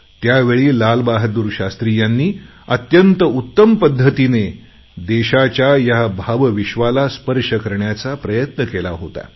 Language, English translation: Marathi, Then, Lal Bahadur Shashtri Ji had very aptly tried to touch the emotional universe of the country